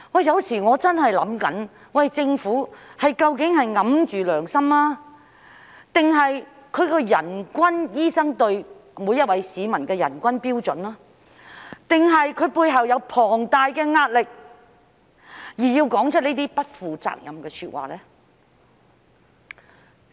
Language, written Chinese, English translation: Cantonese, 有時候我真的會想，政府究竟是掩着良心，還是醫生對市民的人均標準，還是它背後有龐大的壓力，而要說出這些不負責任的說話呢？, Sometimes I really wonder whether the Government is ignoring its conscience or whether it is the standard per capita doctor ratio or whether the Government is under enormous pressure to make such irresponsible remarks